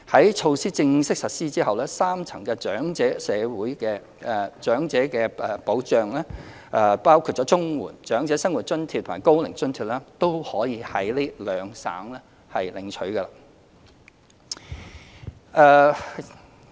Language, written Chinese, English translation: Cantonese, 在措施正式實施後，三層長者社會保障，包括綜援、長者生活津貼及高齡津貼均可在兩省領取。, With the official implementation of the measure the three - tier social security for the elderly including CSSA OALA and the Old Age Allowance can be collected in these two provinces